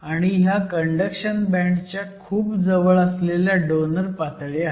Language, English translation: Marathi, And these are my donor levels; the donor levels are located very close to the conduction band